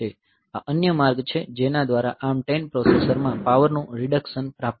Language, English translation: Gujarati, So, this is another avenue by which this power reduction is achieved in ARM10 processor